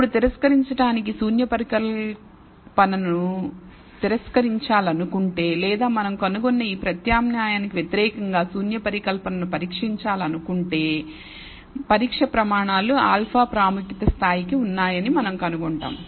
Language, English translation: Telugu, Now, in order to reject, if we want to reject the null hypothesis, or if we want to test the null hypothesis against this alternative we find the test criteria for the alpha level of significance